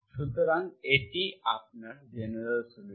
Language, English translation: Bengali, So this is your general solution